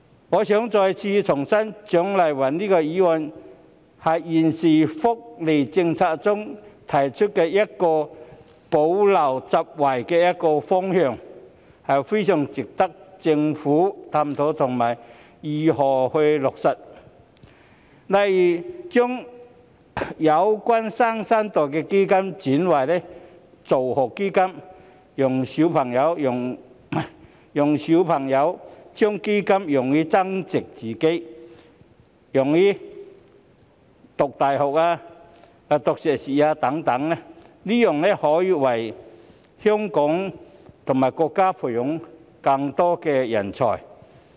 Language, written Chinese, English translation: Cantonese, 我重申，蔣麗芸議員提出的議案是就現時的福利政策，提出一個補漏拾遺的方向，非常值得政府探討如何落實，例如將"新生代基金"轉為助學基金，讓孩子將基金用於自我增值，如用於升讀大學、修讀碩士課程等，這才能為香港和國家培養更多人才。, I reiterate that the motion proposed by Dr CHIANG Lai - wan has suggested a direction for plugging gaps in the existing welfare policy . It is very worthwhile for the Government to examine how it will be implemented . For instance the New Generation Fund may be turned into education fund allowing children to use the fund for self - enhancement such as studying in universities studying masters degree programmes etc